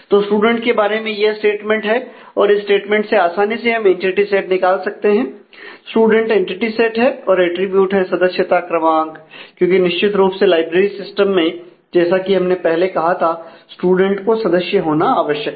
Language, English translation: Hindi, So, this is the statement about the student and from that statement, we can easily extract that entity set here is student and the attributes are member number, because certainly in the context of the library system as we said the; student has to be a member